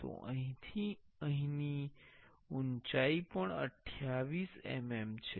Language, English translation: Gujarati, So, the height is 28 mm this height from here to here also 28 mm